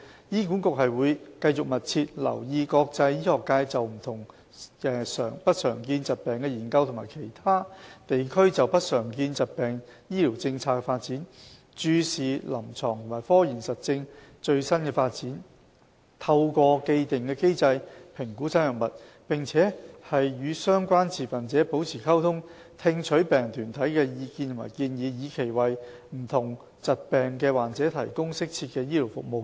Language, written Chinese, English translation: Cantonese, 醫管局會繼續密切留意國際醫學界就不常見疾病的研究和其他地區就不常見疾病醫療政策的發展；注視臨床和科研實證的最新發展，透過既定機制評估新藥物；並與相關持份者保持溝通，聽取病人團體的意見和建議，以期為不同疾病的患者提供適切的醫療服務。, To provide patients suffering from uncommon disorders with appropriate health care services HA will continue to pay close attention to international medical researches and health care policies on uncommon disorders in other regions assess new drugs according to the established mechanism by keeping abreast of the latest development of clinical treatment and scientific evidence maintain communication with stakeholders and heed the views and suggestions of patient groups